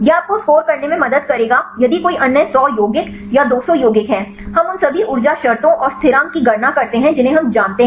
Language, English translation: Hindi, This will help you to score if there are another 100 compounds or 200 compounds, we calculate all the energy terms and the constants we know